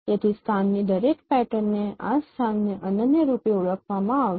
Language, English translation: Gujarati, So each pattern in a location will be uniquely identified this location